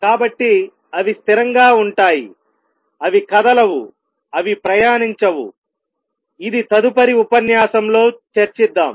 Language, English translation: Telugu, So, they are stationary they not move they are not traveling which will discuss in the next lecture